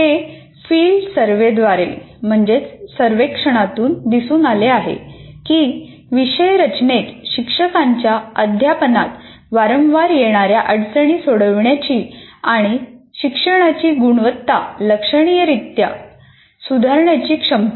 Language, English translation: Marathi, And it has been observed through field surveys that course design has the greatest potential for solving the problems that faculty frequently face in their teaching and improve the quality of learning significantly